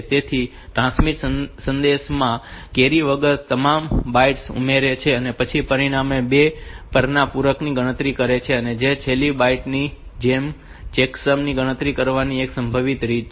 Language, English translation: Gujarati, So, transmitter adds all the bytes in the message without carries and then calculate the 2 s complement of the result and same that as the last byte